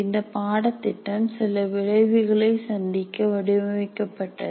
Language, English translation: Tamil, So, and this course has to be designed to meet certain outcomes